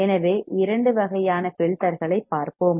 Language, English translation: Tamil, So, we will see two kinds of filters